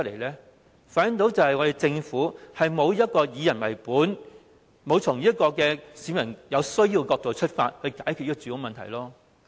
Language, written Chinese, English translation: Cantonese, 這反映出我們的政府並沒有以人為本，沒有從市民所需的角度解決住屋問題。, This reflects that the Governments policies are not people oriented and it never addresses the housing problem from the perspective of members of the public